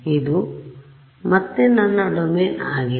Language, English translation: Kannada, This is my domain again